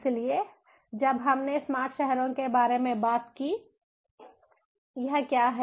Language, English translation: Hindi, so, when we talked about smart cities, what is it